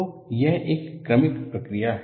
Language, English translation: Hindi, So, it is a successive process